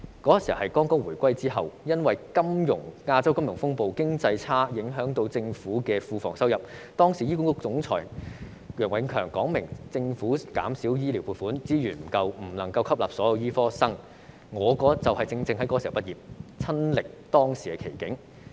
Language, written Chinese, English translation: Cantonese, 當時是回歸初期，因為亞洲金融風暴，經濟差影響政府庫房收入，時任醫管局總裁楊永強表明，政府減少醫療撥款，資源不足，不能夠吸納所有醫科畢業生，我正值這個時候畢業，親歷當時的奇景。, Shortly after the reunification Treasury revenue declined due to the economic downturn amidst the Asian financial crisis . At the time Dr YEOH Eng - kiong the then Secretary for Health Welfare and Food stated that the Government could not absorb all the medical graduates given the reduction of funding for public healthcare services and insufficient resources . I graduated at that time precisely so I experienced the situation first - hand